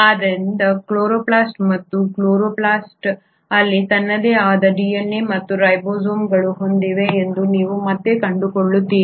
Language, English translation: Kannada, So this is something which you again find in chloroplast and chloroplast also has its own DNA and ribosomes